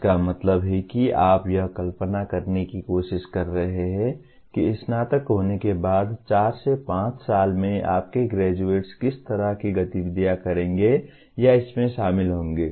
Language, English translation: Hindi, That means you are trying to visualize what kind of activities your graduates will be doing or involved in let us say in four to five years after graduation